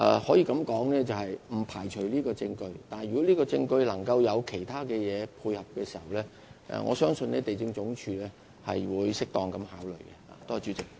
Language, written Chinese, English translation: Cantonese, 可以這樣說，不排除這項證據會被接納，但如有其他條件能配合這項證據，我相信地政總署會作出適當考慮。, I would say I will not rule out the admissibility of such evidence but trust that LandsD will give it due consideration with the support from other proofs